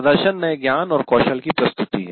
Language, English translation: Hindi, And then you demonstrate the new knowledge and skills